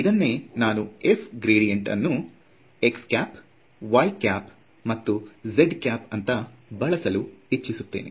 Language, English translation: Kannada, I can as well write it as like this gradient of f is equal to x hat, y hat and z hat